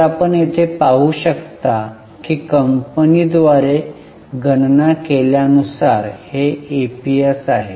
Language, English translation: Marathi, So, you can see here that this is the EPS as calculated by the company